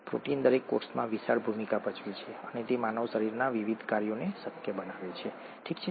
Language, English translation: Gujarati, Proteins play huge roles in every cell and they make the various functions of the human body possible, okay